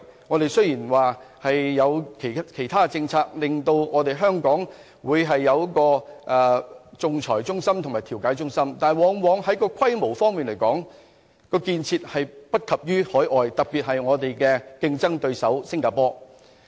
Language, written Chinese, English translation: Cantonese, 我們雖然有其他的政策推動香港成為仲裁及調解中心，但就規模來說，相關建設往往不及海外，特別是我們的競爭對手新加坡。, We may have other policies to promote Hong Kong as an arbitration and mediation centre but in terms of scale the related facilities are incomparable to those overseas especially those in our competitor Singapore